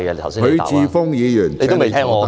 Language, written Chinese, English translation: Cantonese, 許智峯議員，請你坐下。, Mr HUI Chi - fung please sit down